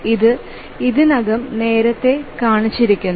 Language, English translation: Malayalam, So, this we already shown earlier